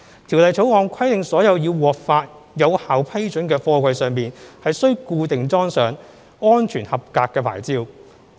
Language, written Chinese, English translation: Cantonese, 《條例草案》規定所有已獲發有效批准的貨櫃上須固定裝上"安全合格牌照"。, The Bill stipulates that all containers which have obtained valid approval must be affixed with an SAP